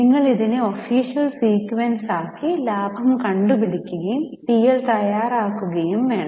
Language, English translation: Malayalam, you are supposed to put it in the official sequence, calculate the profit and complete the preparation of PNN